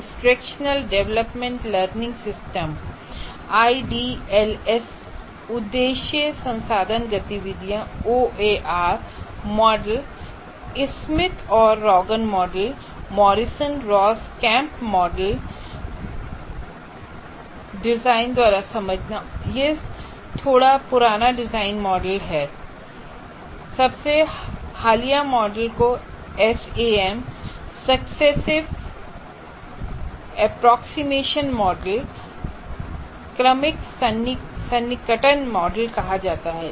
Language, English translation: Hindi, And then you have instructional development learning system, IDLS, Objectives Resource Activities, OAR model, Smith and Dragon model, Morrison Ross Kemp model, understanding by design, it's a backward design model and the most recent one is called Sam, successive approximation model